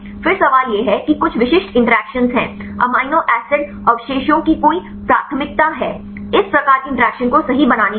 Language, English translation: Hindi, Then the question is there are some specific interactions are there any preference of amino acid residues to form these type of interactions right